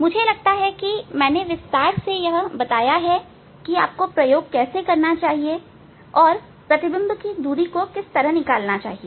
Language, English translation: Hindi, I think I have described in details, how to do the experiment and how to find out the image distance